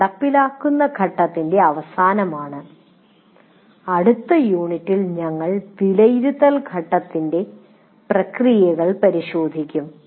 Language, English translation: Malayalam, And that is the end of implement phase and in next unit we will look at the evaluate phase, the process of evaluate phase and thank you very much for your attention